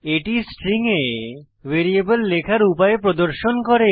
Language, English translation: Bengali, This shows a way of inserting a variable within a string